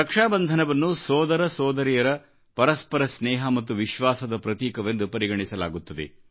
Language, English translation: Kannada, The festival of Rakshabandhan symbolizes the bond of love & trust between a brother & a sister